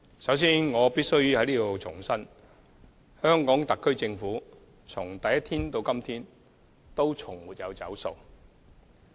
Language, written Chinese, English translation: Cantonese, 首先，我必須在此重申，香港特區政府從第一天起直至今天，從來也沒有"走數"。, First of all I have to reiterate that the HKSAR Government has never broken any promise from the first day till now